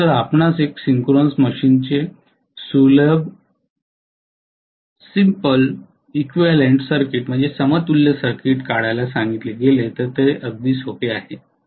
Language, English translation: Marathi, So if you are asked to draw simplified equivalent circuit of a synchronous machine its very very simple